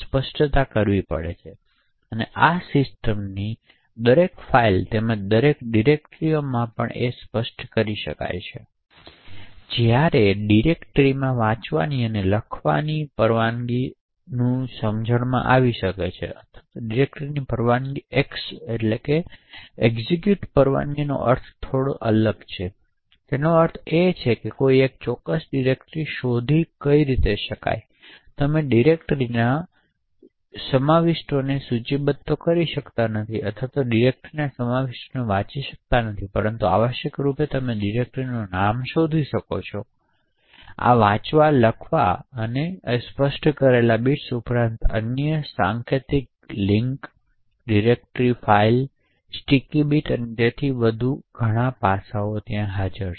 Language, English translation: Gujarati, So this can be specified for each file in the system as well as each directory as well, while it makes sense to actually have a read and write a directory execute permission or X permission on the directory has a different meaning, so it essentially means that one could lookup a particular directory, so essentially you cannot list the contents of the directory or read the contents of the directory but essentially you could lookup the name of that directory, in addition to these read, write, execute bits what is specified is other aspects such as symbolic links, directory files, sticky bits and so on